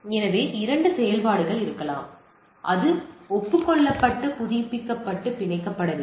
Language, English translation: Tamil, So, there may be two operations that is either it is acknowledge, that is renewed and it is gets to bind